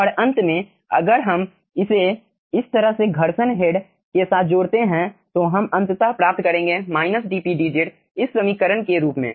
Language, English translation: Hindi, and finally, if we club this 1 along with frictional heat, like this, we will be finally obtaining minus dp dz as this equation